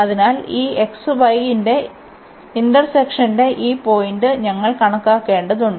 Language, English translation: Malayalam, So, we need to compute this point of intersection of this x y is equal to 2